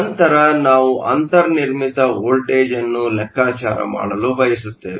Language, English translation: Kannada, Then we want to calculate the built in voltage